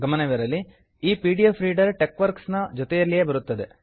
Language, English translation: Kannada, Note that this pdf reader comes along with TeXworks